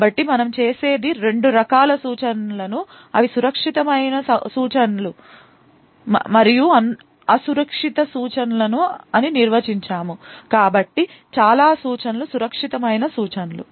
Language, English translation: Telugu, So, what we do is we define two types of instructions they are the safe instructions and the unsafe instructions, so most of the instructions are safe instructions